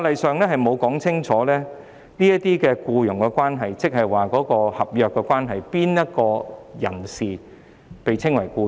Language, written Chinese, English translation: Cantonese, 法例沒有清楚訂明這些僱傭關係是合約關係，以及誰是"僱員"。, It is not clearly stipulated in the law that these employment relationships are contractual relationships and who are employees